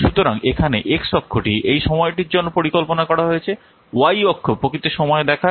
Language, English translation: Bengali, So here x axis is planned time, y axis this actual time